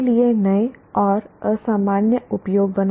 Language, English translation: Hindi, Create new and unusual uses for